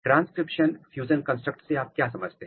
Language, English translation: Hindi, So, what do you mean by transcriptional fusion construct